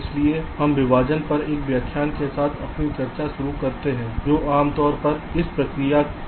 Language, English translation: Hindi, so we start our discussion with a lecture on partitioning, which is usually the first step in this process